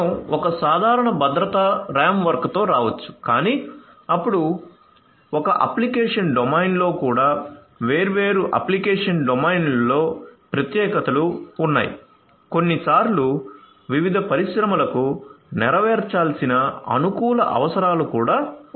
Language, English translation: Telugu, So, you can come up with a common security framework right that is fine, but then there are specificities across different you know application domains even within an application domain also there are sometimes custom requirements that will have to be fulfilled for different industries